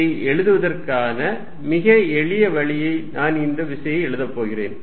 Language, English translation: Tamil, This is very simple way of writing it I am going to write force